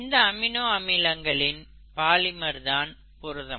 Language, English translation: Tamil, They are polymers of amino acids